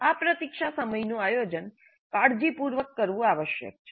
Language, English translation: Gujarati, So these wait times must be planned carefully